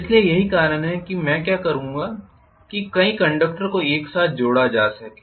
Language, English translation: Hindi, So that is why what I will do is to have several number of conductors connected together